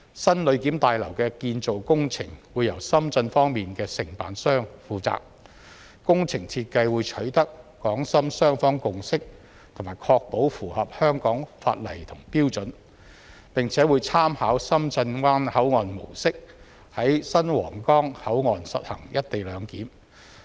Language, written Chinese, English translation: Cantonese, 新旅檢大樓的建造工程會由深圳方面的承辦商負責，工程設計會取得港深雙方共識及確保符合香港法例和標準，並且會參考深圳灣口岸模式，在新皇崗口岸實行"一地兩檢"。, The construction of the new passenger clearance building will be undertaken by contractors from the Shenzhen side . Prior consensus will be sought from both the Hong Kong and Shenzhen sides on the design of the project to ensure that the design complies with the laws and standards of Hong Kong . The new Huanggang Port will be modelled on the Shenzhen Bay Port in respect of the latters co - location arrangement